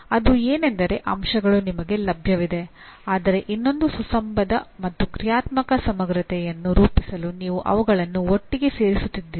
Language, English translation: Kannada, That is elements are available to you but you are putting them together to form a another coherent and functional whole